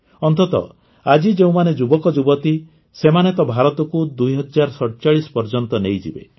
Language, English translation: Odia, After all, it's the youth of today, who will take are today will take India till 2047